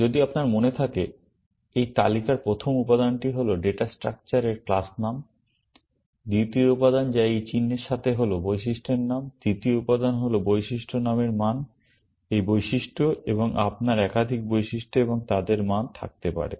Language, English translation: Bengali, If you remember, the first element in this list is the class name of the data structure; the second element which, with this symbol is the attribute name; the third element is the value of the attribute name, this attribute; and you can have multiple attributes and their values